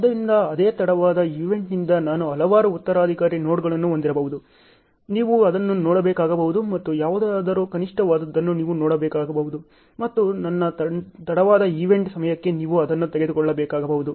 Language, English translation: Kannada, So, I may have too many succeeding nodes coming out from the same late event, you may have to see that and you may have to see whichever is minimum that you may have to take it for my a late event time